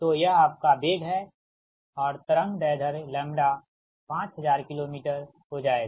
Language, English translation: Hindi, so this is that your velocity and wave length lambda will become five thousand kilo meter